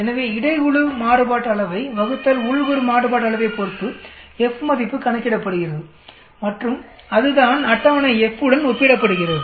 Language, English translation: Tamil, So F is calculated based on between group variance divided by within group variance and that is what is compared with the table F